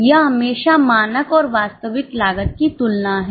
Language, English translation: Hindi, It is always a comparison of standard and actual cost